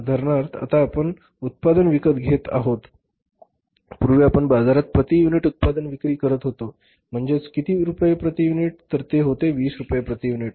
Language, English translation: Marathi, For example now we are selling the product, earlier we were selling the product per unit in the market say for how much 20 rupees per unit